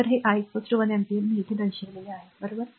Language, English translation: Marathi, So, this i is equal to one ampere, this is what is shown here, right